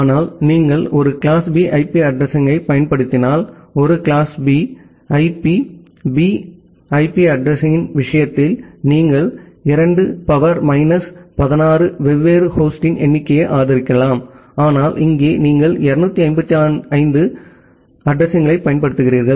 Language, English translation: Tamil, But, if you use a class B IP address, in case of a class B IP B IP address, you can support 2 the power minus 16 number of different host, but here you are just using 255 addresses